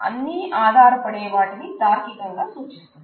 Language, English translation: Telugu, It is all dependencies that are logically implied by it